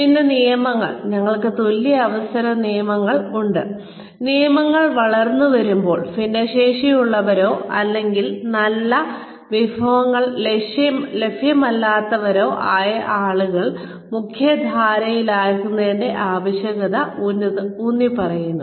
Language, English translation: Malayalam, Then, laws, we have equal opportunity laws,we laws, that emphasized the need to mainstream the people, who are differently abled or people, who do not have access to very good resources, while growing up